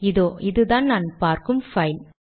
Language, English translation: Tamil, This is the file I am looking at